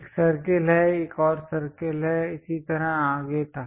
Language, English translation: Hindi, There is a circle there is another circle there is another circle and so, on